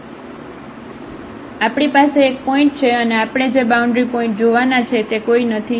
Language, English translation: Gujarati, So, we have one point and none the boundary points we have to look